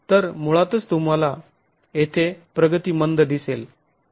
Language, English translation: Marathi, So, basically you see a slow progression here